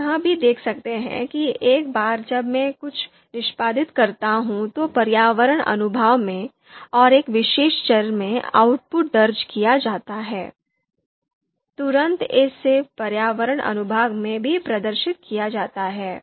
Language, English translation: Hindi, You can also see that in the environment section once I execute something and that output is recorded in a particular you know variable, immediately it is also displayed in the environment section as well